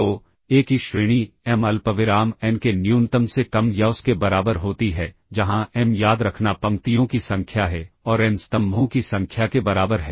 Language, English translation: Hindi, So, the rank of A is less than or equal to minima of m comma n where m remember is number of rows and n equals number of columns